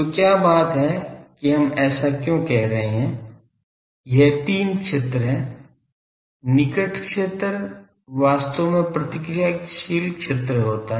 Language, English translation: Hindi, So, what is the point why we are saying that this three regions are a so, near field near field region is actually reactive near field